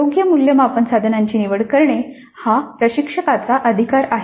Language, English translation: Marathi, The selection of appropriate assessment items is the prerogative of the instructor